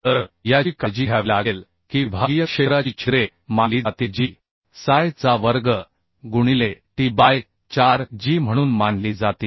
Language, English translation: Marathi, consider: the sectional area holes will be consider as psi square into t by 4g